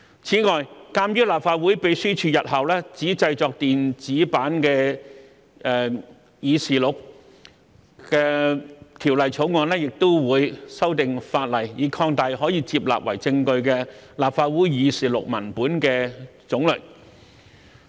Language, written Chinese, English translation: Cantonese, 此外，鑒於立法會秘書處日後只製作電子版議事錄，《條例草案》亦會修訂法例，以擴大可接納為證據的立法會議事錄文本的種類。, In addition given that the Legislative Council Secretariat will produce only electronic copies of the journals in the future the Bill also seeks to amend the legislation to expand on the types of journals of the Council that can be admitted as evidence